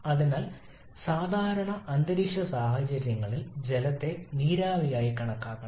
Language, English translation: Malayalam, And therefore the water under normal atmospheric conditions should be treated as vapour